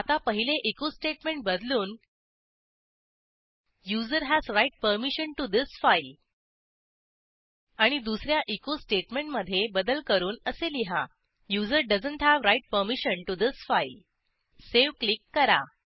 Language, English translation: Marathi, Now replace the first echo statement with: User has write permission to this file And the second echo statement with: User doesnt have write permission to this file Click on Save